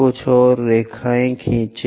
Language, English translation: Hindi, Draw few more lines